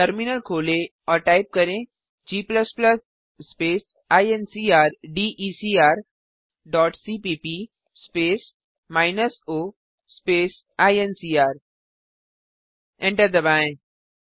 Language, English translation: Hindi, To compile, type gcc space typecast dot c space minus o space type.Press Enter